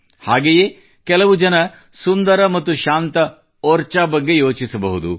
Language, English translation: Kannada, At the same time, some people will think of beautiful and serene Orchha